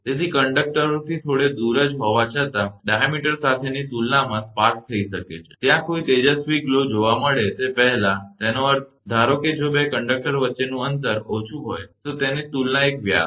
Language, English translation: Gujarati, So, with conductors only a short distance apart, in comparison with the diameter the spark over may take place, before there is a any luminous glow is observed; that means, suppose, if the distance between 2 conductors is less, compare to it is a diameter